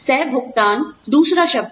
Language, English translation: Hindi, Copayment is another term